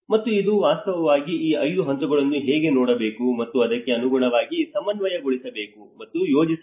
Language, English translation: Kannada, And this has to actually look at how these 5 stages and has to be coordinated and planned accordingly